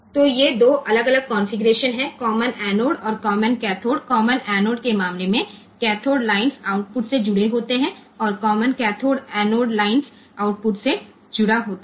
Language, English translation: Hindi, So, these are the 2 different configurations common anode and common cathode in case of common anode the cathode lines are connected to the output and in case of common cathode anode lines a common cathode, common cathode is a common anode is connected to the output